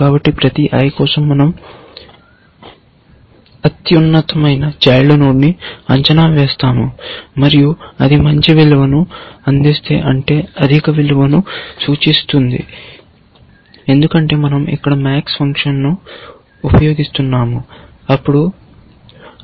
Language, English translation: Telugu, So, for every i, we will evaluate the highest child, and if its providing the better value, which means a higher value, because we are using the max function here, then alpha